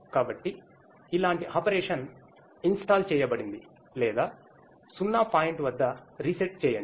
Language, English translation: Telugu, So, from this like the operation was installed or reset at 0 point